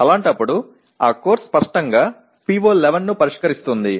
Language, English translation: Telugu, In that case that course obviously will address PO 11